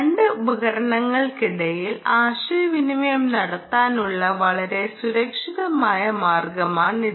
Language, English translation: Malayalam, it's a very secure way of communicating between two devices